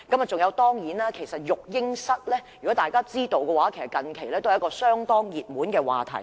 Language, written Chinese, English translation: Cantonese, 大家都知道，育嬰室也是近期相當熱門的話題。, As we all know baby - sitting room has become a hot topic recently